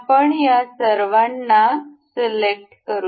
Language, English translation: Marathi, We will select all of these